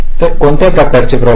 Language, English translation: Marathi, so what kind of problems